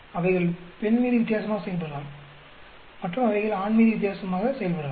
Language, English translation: Tamil, They may act differently on female and they may act differently on male